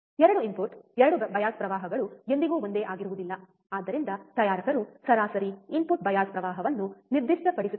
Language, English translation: Kannada, the 2 input 2 bias currents are never same, hence the manufacturer specifies the average input bias current, right